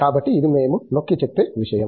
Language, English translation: Telugu, So, that is something which we are emphasizing